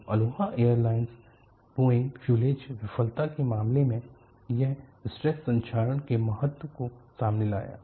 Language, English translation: Hindi, Earlier, in the case of Aloha Airline Boeing fuselage Failure, it brought out the importance of stress corrosion